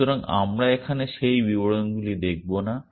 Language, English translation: Bengali, So, we will not look into those details here